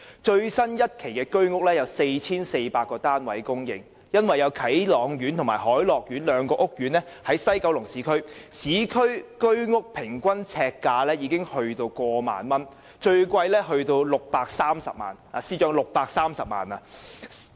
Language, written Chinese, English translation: Cantonese, 最新一期供應的居屋單位有 4,400 個，由於啟朗苑和凱樂苑兩個屋苑均位於西九龍市區，市區居屋的平均呎價已超過1萬元，最貴的單位更高達630萬元——司長，是630萬元。, A total of 4 400 HOS flats were recently put on the market for sale and since the two housing estates Kai Long Court and Hoi Lok Court are located in the urban areas of West Kowloon the average price per square foot has exceeded 10,000 . The price of the most expensive unit is as high as 6.3 million―Financial Secretary it is 6.3 million